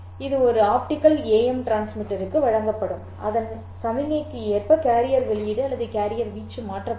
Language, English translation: Tamil, This would then be given to an optical AM transmitter whose carrier output or carrier amplitude would be changed according to this signal